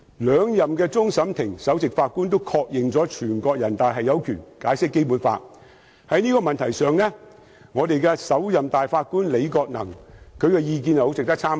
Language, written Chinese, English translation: Cantonese, 兩任終審法院首席法官都曾確認，全國人民代表大會常務委員會有權解釋《基本法》，在這個問題上，首任大法官李國能的意見很值得參考。, Two former Chief Justice of the Court of Final Appeal CFA confirmed that the Standing Committee of the National Peoples Congress NPCSC had the power to interpret the Basic Law . On this issue the opinions of the first Chief Justice Andrew LI is worthy of reference